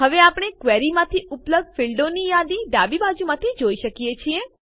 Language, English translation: Gujarati, Now we see a list of available fields from the query on the left hand side